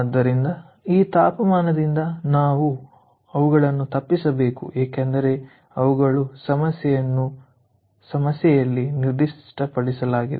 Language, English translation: Kannada, so these are known that we have to avoid by these temperatures because they are specified by the problem